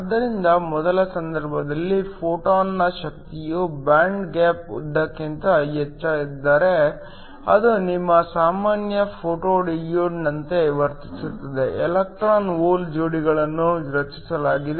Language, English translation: Kannada, So, in the first case, if the energy of the photon is more than the band gap Eg, then it behaves like your regular photo diode, electron hole pairs are created